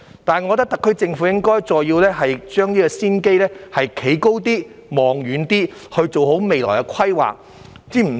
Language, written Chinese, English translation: Cantonese, 不過，我認為特區政府應就這個先機再站高一點、望遠一點，做好未來規劃。, However I think in respect of this advantageous opportunity the SAR Government should stand up higher and look farther to make good planning for the future